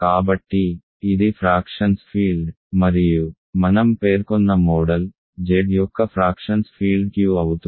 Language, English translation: Telugu, So, it is field of fractions is itself and the model that I mentioned, field of fractions of Z is of course, Q